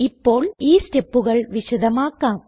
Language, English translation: Malayalam, I will now demonstrate these steps